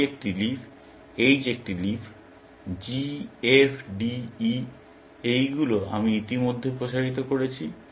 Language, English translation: Bengali, C is a leaf; H is a leaf; G, F, D, E; these I have already expanded